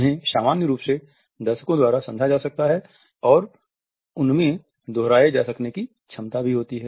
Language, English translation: Hindi, They can be in general understood by viewers and they also have what is known as a repeatable capability